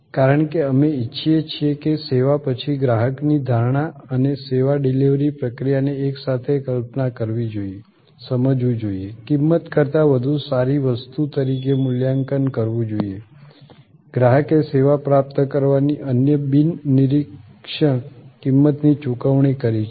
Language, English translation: Gujarati, Because, we want that the customer perception after service and the service delivery process together must be conceived, must be perceived, must be evaluated as something better than the price, the customer has paid and the different non monitory other cost of acquiring the service